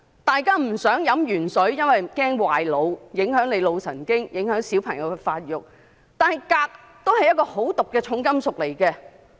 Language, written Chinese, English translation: Cantonese, 大家不想飲"鉛水"，因為擔心會損害腦部，影響腦神經和影響小朋友發育；但鎘也是一種毒素很高的重金屬。, We do not want to drink lead - contaminated water for we are concerned that it can damage the brain and the neurological function and also affect the growth of children but cadmium is also a heavy metal of very high toxicity